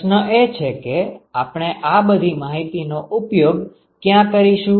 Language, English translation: Gujarati, The question is where do we use all this information